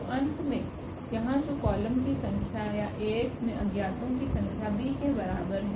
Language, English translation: Hindi, So, this will add to the end here which are the number of columns or the number of unknowns in Ax is equal to b